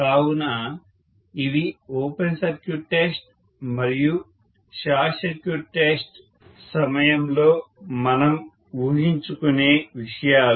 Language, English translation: Telugu, So these are the assumptions that we make during open circuit test and shortcut circuit test